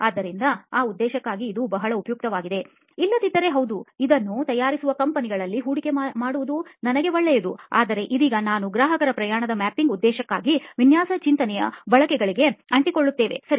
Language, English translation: Kannada, So it is pretty useful for that purpose; otherwise, yeah,good thing for me will be to invest in companies which are making this but for now we will stick to the uses of design thinking for this purpose of customer journey mapping, ok